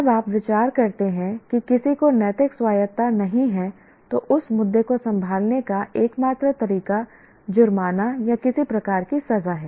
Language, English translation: Hindi, When you consider somebody doesn't have moral autonomy, the only way to handle that issue is by fines or some kind of punishment